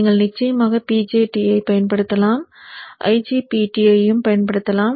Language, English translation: Tamil, You can also use the IGBT